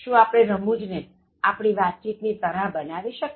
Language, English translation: Gujarati, Can we use humour as a communication strategy